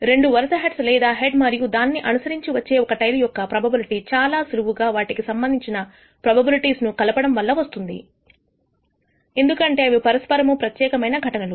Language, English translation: Telugu, The probability of either receiving two successive heads or a head and followed by a tail can be obtained in this case by simply adding their respective probabilities because they are mutually ex clusive events